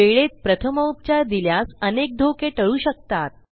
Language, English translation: Marathi, In this way, first aid given in time prevent many damages